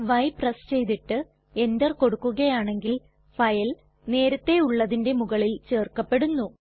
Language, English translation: Malayalam, If we press y and then press enter, the file would be actually overwritten